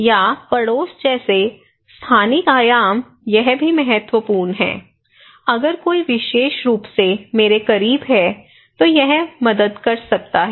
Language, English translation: Hindi, Or the spatial dimensions like neighbourhood, this is also important, if someone is at my close to me especially, it can help